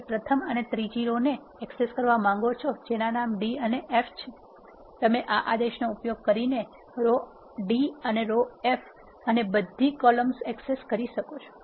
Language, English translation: Gujarati, You want to access first and third row which are having the names d and f, you can do so by using this command you want access row d and row f and all the columns